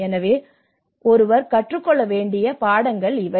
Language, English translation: Tamil, So these are the lessons one has to take it